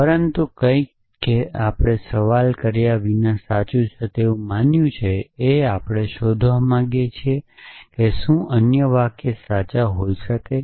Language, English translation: Gujarati, But something that we assume to be true without questioning that we want to find out what other sentences can be true